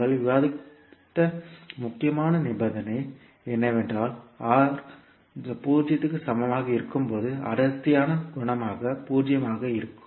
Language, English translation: Tamil, The critical condition which we discussed was that when R is equal to 0 the damping coefficient would be 0